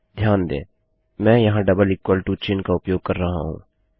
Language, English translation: Hindi, Notice I am using a double equal to sign here